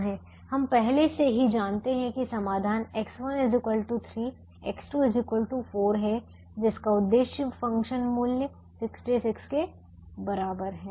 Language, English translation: Hindi, you know that the solution is x one equal to three, x two equal to four, with objective function value equal to sixty six